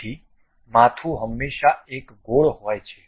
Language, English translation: Gujarati, So, head always be a circular one